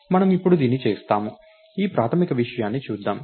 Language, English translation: Telugu, So, we will do that now, lets look at this basic thing